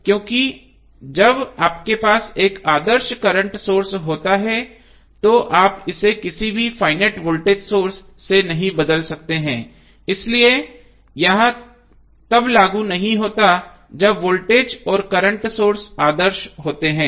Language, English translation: Hindi, Why, because when you have ideal current source you cannot replace with any finite voltage source so, that is why, it is not applicable when the voltage and current sources are ideal